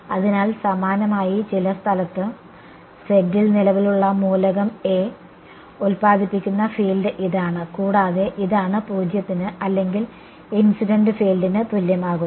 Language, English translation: Malayalam, So, similarly this is the field produced by the current element A at some location z, this plus this is what is being made equal to either 0 or the incident field ok